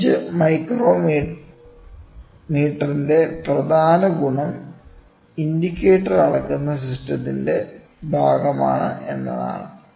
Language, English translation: Malayalam, The major advantage of bench micrometer is that yeah your fiducial indicator is part of the measuring system